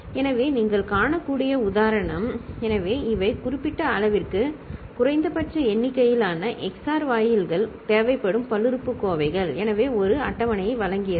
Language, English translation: Tamil, So, the example that you can see; so these are the polynomials that requires minimal number of minimal number of XOR gates for a given degree; so, provided a table